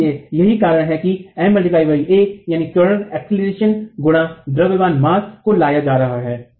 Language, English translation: Hindi, So that's why M into a, mass into acceleration is being brought in